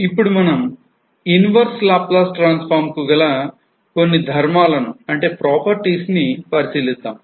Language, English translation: Telugu, Now, let us try to find out the Laplace transform inverse Laplace transform of this particular function